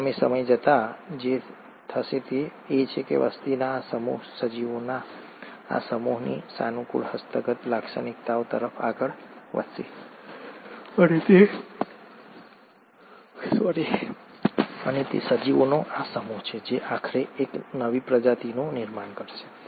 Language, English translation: Gujarati, As a result, what’ll happen in due course of time is that, this set of population will tend to move towards the favourable acquired characteristics of this set of organisms and it is this set of organisms which then eventually will form a new species